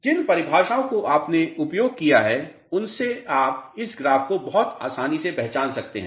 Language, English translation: Hindi, The definitions which are used you can recognize this graph very easily